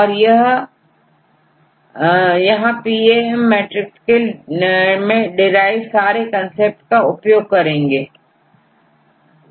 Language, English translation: Hindi, So, we need to consider the all these concepts to derive the PAM matrix